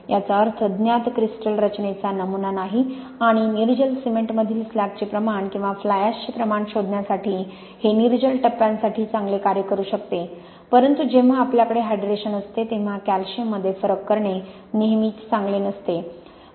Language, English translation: Marathi, This means pattern of no known crystal structure and this can work quite well for anhydrous phases to discover the amount of slag in an anhydrous cement, or the amount of fly ash but when you have hydration it is not always good for differentiating for example between calcium silicate hydrate and slag